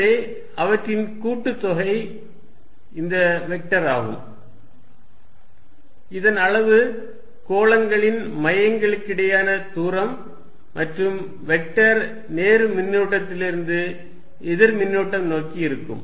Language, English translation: Tamil, So, their sum is this vector whose magnitude that distance between the centres of theses spheres and vector is from positive charge towards the negative charge